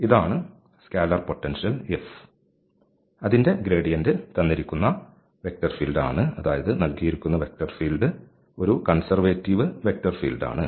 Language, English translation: Malayalam, So, this is the potential function whose gradient is the given vector field that means, the given vector field is a conservative vector field